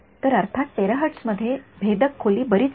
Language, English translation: Marathi, So, terahertz of course, has much less penetration depth